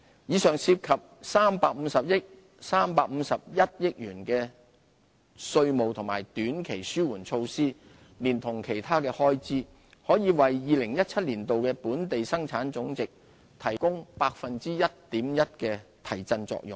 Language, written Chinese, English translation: Cantonese, 以上涉及351億元的稅務和短期紓緩措施，連同其他的開支，可為2017年的本地生產總值提供 1.1% 的提振作用。, This set of tax and short - term relief measures will cost 35.1 billion in total . Together with other spending initiatives in the Budget they will have a fiscal stimulus effect of boosting GDP for 2017 by 1.1 %